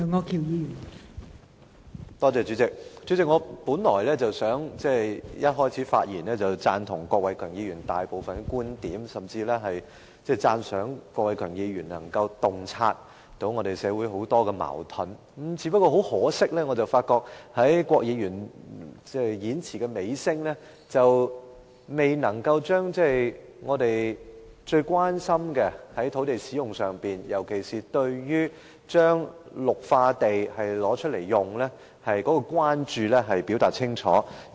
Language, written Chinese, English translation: Cantonese, 代理主席，我本來打算一開始發言便表示贊同郭偉强議員剛才提述的大部分觀點，甚至讚賞他能夠洞察社會上很多矛盾，但很可惜，郭偉强議員直到演辭尾聲仍沒有就我們最關心的土地使用問題，尤其是使用綠化地的問題，作出清楚表述。, Deputy President as I was listening to the speech just made by Mr KWOK Wai - keung my initial reaction was that I would say at the outset that I agreed with most of the points he mentioned or even commended him for highlighting the many conflicts in our society . But regrettably throughout his entire speech Mr KWOK has failed to give a clear statement about the land use issue which we are most concerned about particularly on the use of green sites